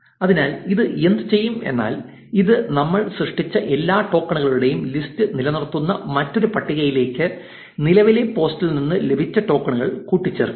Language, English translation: Malayalam, So, what this will do is, this will append the tokens that we got from the current post into another list which will maintain the list of all the tokens that we have generated